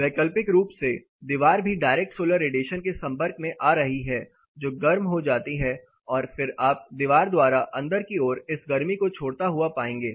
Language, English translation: Hindi, Alternately the wall is also getting exposed to direct solar radiation it gets heated up and then you will find the wall reemitting in to the inside